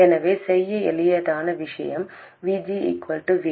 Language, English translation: Tamil, So, the easiest thing to do is to make VG equals VD